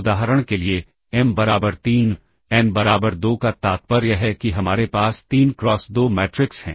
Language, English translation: Hindi, So, we have the space of m cross n matrices example m equal to 3 n equal to 2 implies; we have 3 cross 2 matrices